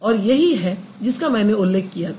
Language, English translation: Hindi, And this is the example I discussed